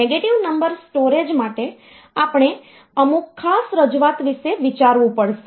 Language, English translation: Gujarati, For negative number storage, we have to think about some special representation